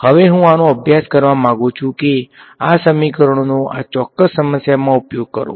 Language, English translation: Gujarati, Now, what I would like to do is study this use these equations in this particular problem ok